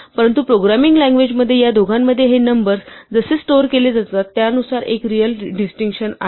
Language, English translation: Marathi, But in a programming language there is a real distinction between these two and that is, because of the way that these numbers are stored